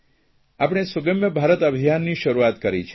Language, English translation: Gujarati, That day we started the 'Sugamya Bharat' campaign